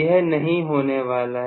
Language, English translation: Hindi, That is not going to happen